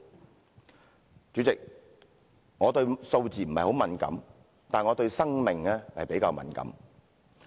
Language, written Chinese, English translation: Cantonese, 代理主席，我對數字並不太敏感，但我對生命比較敏感。, Deputy President I am not sensitive to numbers but am more sensitive to life